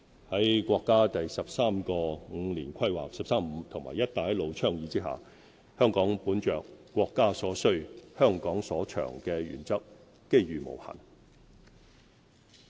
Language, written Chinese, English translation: Cantonese, 在國家第十三個五年規劃和"一帶一路"倡議下，香港本着"國家所需、香港所長"的原則，機遇無限。, Leveraging the National 13 Five - Year Plan and the Belt and Road Initiative Hong Kong enjoys endless opportunities as we excel in what the country needs and what Hong Kong is good at